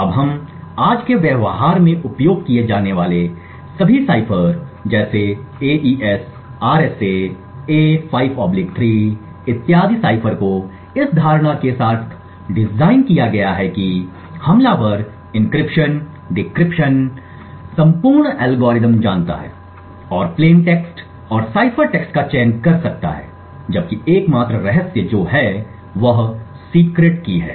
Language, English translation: Hindi, Now all ciphers that we use today in practice are designed with this assumption so ciphers such as the AES, RSA, A5/3 and so on are designed with the assumption that the attacker knows the complete algorithm for encryption, decryption and can choose plain text and cipher text and the only secret is the secret key